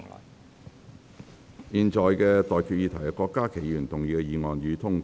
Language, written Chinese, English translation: Cantonese, 我現在向各位提出的待決議題是：郭家麒議員動議的議案，予以通過。, I now put the question to you and that is That the motion moved by Dr KWOK Ka - ki be passed